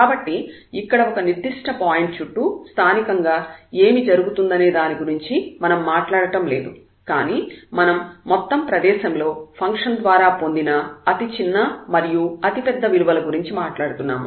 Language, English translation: Telugu, So, here we are not talking about what is happening locally around a certain point, but we are talking about the smallest and the largest values attained by the function over the entire domain